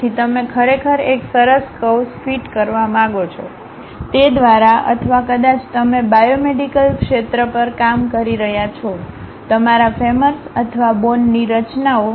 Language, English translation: Gujarati, So, you would like to really fit a nice curve, through that or perhaps you are working on biomedical field your femurs or bone structures